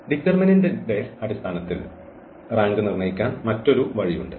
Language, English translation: Malayalam, There is another way of determining this rank in terms of the determinant